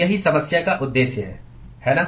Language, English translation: Hindi, That is the objective of the problem, right